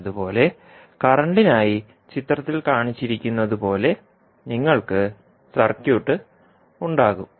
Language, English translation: Malayalam, Similarly, for current, you will have the circuit as shown in the figure